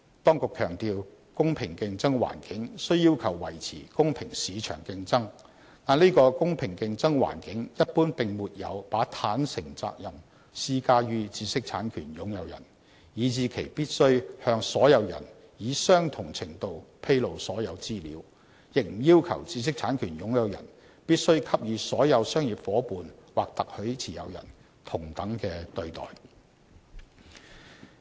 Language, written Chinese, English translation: Cantonese, 當局強調，"公平競爭環境"雖要求維持公平市場競爭，但這個"公平競爭環境"一般並沒有把"坦誠責任"施加於知識產權擁有人，以致其必須向所有人以相同程度披露所有資料，亦不要求知識產權擁有人必須給予所有商業夥伴/特許持有人同等的對待。, It is stressed that while there should be a level playing field in that market competition should be fair this level playing field does not generally impose a duty of candour on an IPR owner such that it must disclose all information to all persons to the same extent or require it to confer same treatment on all business partnerslicensees